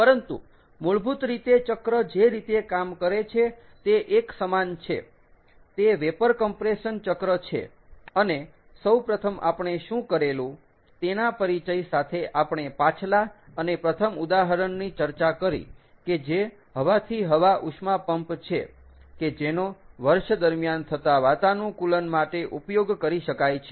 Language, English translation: Gujarati, ok, it is a vapour compression cycle, and what we first did was, with that introduction, we went over and discussed the first example, which is air to air heat pump, that is, that can be used for year round air conditioning